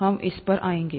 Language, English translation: Hindi, We’ll come to this